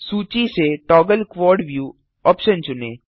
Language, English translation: Hindi, Select the option Toggle Quad view from the list